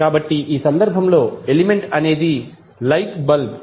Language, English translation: Telugu, So, in this case the element is light bulb